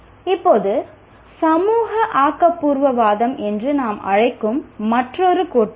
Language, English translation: Tamil, Now another theory is what we call social constructivism